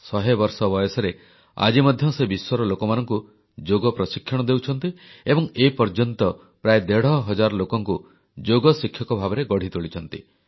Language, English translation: Odia, Even at the age of 100, she is training yoga to people from all over the world and till now has trained 1500as yoga teachers